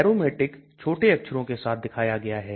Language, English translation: Hindi, Aromatic are shown with lower case